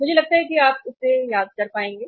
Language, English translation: Hindi, I think you will be able to recall it